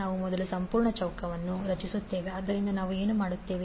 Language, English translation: Kannada, We first create the complete square, so to do that what we will do